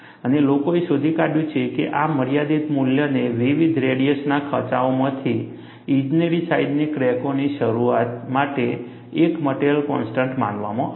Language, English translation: Gujarati, And, people have found that this limiting value, is assumed to be a material constant, for the initiation of engineering sized cracks, from notches of different radii